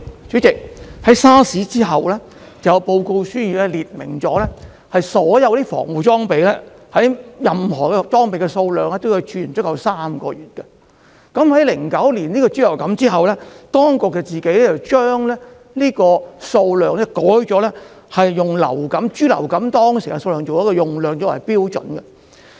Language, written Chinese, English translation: Cantonese, 主席，在 SARS 後有一份報告，列明任何保護裝備的儲存量必須足以使用3個月，但在2009年爆發人類豬流感後，當局自行將儲存量修改為以爆發人類豬流感當時的用量作為標準。, President after SARS there was a report requiring a three - month stock of PPE be maintained . However after the outbreak of human swine influenza swine flu in 2009 the stock level of PPE was revised downward by the authorities at their own discretion to the actual PPE consumption level in that outbreak